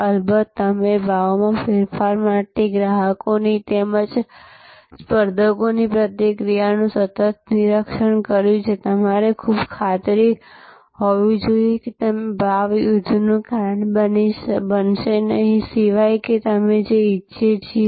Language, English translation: Gujarati, Of course, you have continuously monitor the reactions of customers as well as competitors to price change, you have to be very sure that you are not going to cause a price war unless that is what we want